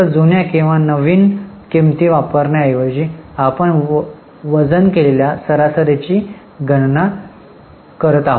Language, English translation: Marathi, Instead of only using older or newer prices, we go on calculating the weighted average